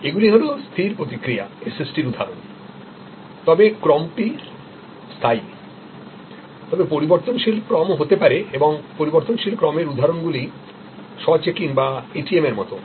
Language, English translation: Bengali, Now, these are instances of fixed response SST's as we call them, but or fixed sequence, but there can be variable sequence and variable sequence instances are like the self checking or ATM